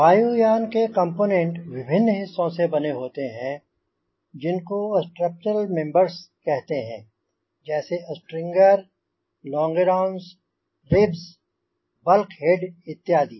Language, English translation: Hindi, the aircraft components are composed of various parts called structural members, that is, strangers, longerons, ribs, bulk heads, etcetera